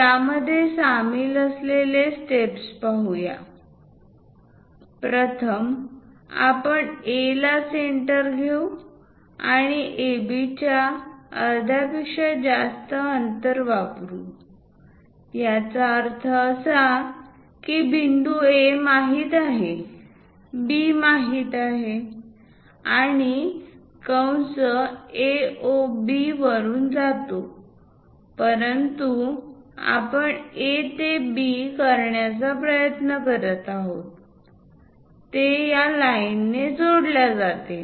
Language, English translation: Marathi, Let us look at the steps involved in that; first, we have to use with A as centre and distance greater than half of AB; that means, point A is known B is known, and the arc goes along A, O, B but what we are trying to do is; from A to B, join by a line